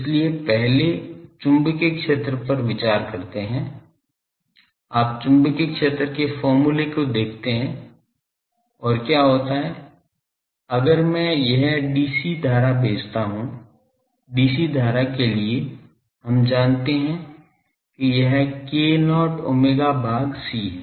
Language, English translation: Hindi, So, first consider the magnetic field you look at your magnetic field expression and what happens if I send an dc current, for dc current k not we know it is omega by c